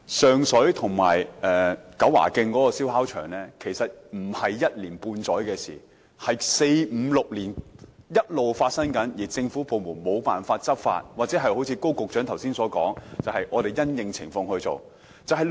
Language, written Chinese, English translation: Cantonese, 上水和九華徑的燒烤場其實不是一年半載的事，而是五六年來一直發生，而政府部門無法執法，或正如高局長剛才所說般因應情況處理。, The matter of the barbecue sites at Sheung Shui and Kau Wa Keng is not something which just happened six months or a year ago . Rather it has persisted for five to six years . The government departments have failed to take enforcement actions or as stated by Secretary Dr KO just now it will be handled in light of the circumstances